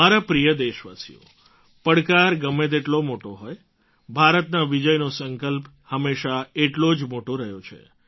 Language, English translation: Gujarati, My dear countrymen, however big the challenge be, India's victoryresolve, her VijaySankalp has always been equal in magnitude